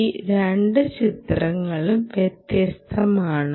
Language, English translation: Malayalam, but these two pictures are different